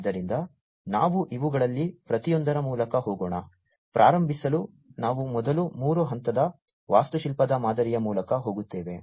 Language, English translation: Kannada, So, let us go through each of these, to start with we will first go through the three tier architecture pattern